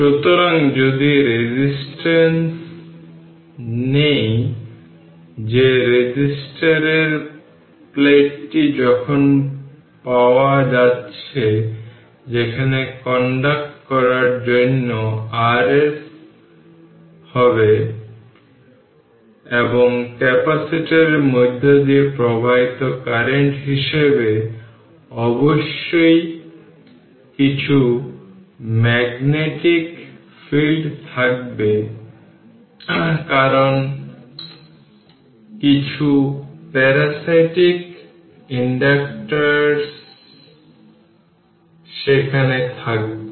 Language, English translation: Bengali, For conducting plate of the capacitor where we are getting it, and as the current flowing through the capacitor there must be some magnetic field because of that some parasitic inductance also will be there